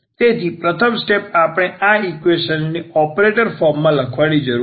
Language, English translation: Gujarati, So, what as a first step we need to write down this equation in the operator form